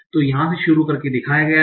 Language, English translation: Hindi, So here the start state is shown